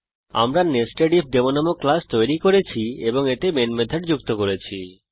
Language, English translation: Bengali, We have created a class NesedIfDemo and added the main method to it